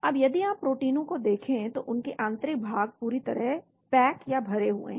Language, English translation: Hindi, Now if you look at proteins their interiors are tightly packed